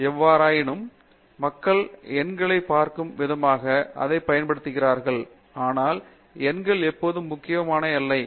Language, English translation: Tamil, Of course, people use numbers as a way of looking at it, but not always numbers are important